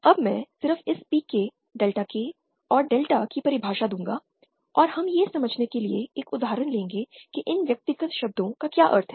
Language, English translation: Hindi, Now I will just give the definition of this PK, Delta K and delta and we will take an example to understand what these individual terms mean